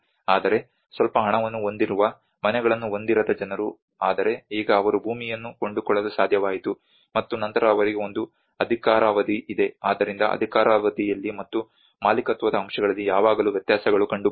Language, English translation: Kannada, But the people who are not having houses who have a little money but now they could able to afford the land and then they have a tenure so there is always the discrepancies occur in the tenure and the ownership aspect